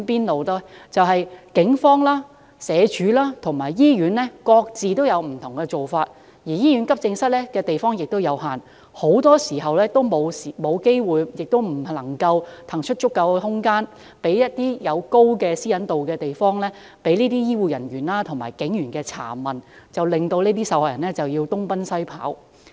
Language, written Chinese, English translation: Cantonese, 由於警方、社會福利署及醫院各有不同做法，而醫院急症室地方亦有限，很多時均沒有機會和不能騰出足夠空間，讓受害人在高私隱度的環境下接受醫護人員和警員的查問，受害人亦因而要東奔西跑。, As different practices are adopted by the Police the Social Welfare Department and in hospitals and given the limited space available in the Accident and Emergency Department of public hospitals it is often not feasible to provide sufficient space for health care personnel and police officers to question victims in a place with high privacy protection thus making it inevitable for victims to run around among different places